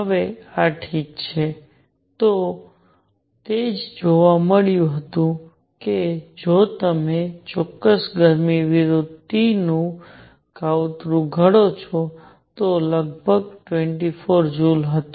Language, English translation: Gujarati, Now this is fine, this is what was observed that if you plot specific heat versus T, it was roughly 24 joules